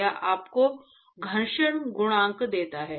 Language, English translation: Hindi, It gives you the friction coefficient